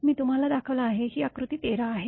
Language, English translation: Marathi, I have showed you; this is figure 13